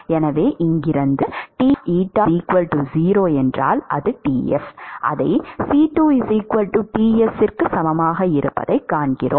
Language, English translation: Tamil, So, therefore, from here we find that C2 equal to Ts